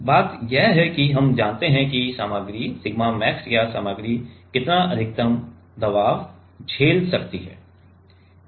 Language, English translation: Hindi, So, the point is here that we know the material sigma max or what is the maximum pressure material can withstand